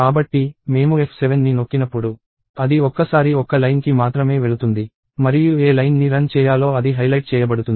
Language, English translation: Telugu, So, as I keep pressing F7, it goes one line at a time and whatever line is to be executed will be highlighted